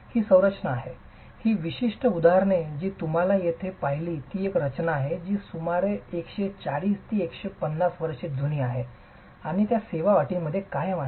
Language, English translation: Marathi, These are structures, this particular example that you see here is a structure that is about 140, 150 years old and they continue to be in service conditions